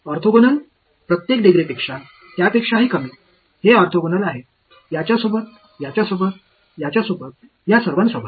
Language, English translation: Marathi, Orthogonal to every degree less than it so, it is orthogonal to this guy, this guy, this guy all of these guys